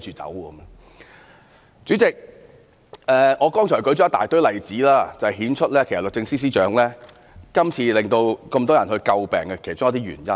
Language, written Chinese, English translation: Cantonese, "代理主席，我剛才舉出很多例子，顯示律政司司長這次為人詬病的一些原因。, Deputy President just now I have cited a number of examples to illustrate some of the reasons why the Secretary for Justice is being cavilled at